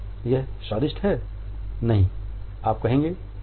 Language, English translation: Hindi, “It’s tasty” no, you would say “oh